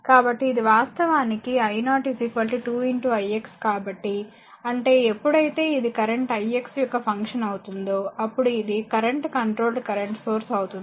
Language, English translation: Telugu, So, this actually that i 0 is equal to 2 into i x so; that means, it is current controlled current source whenever this is function of this one it is function of current i x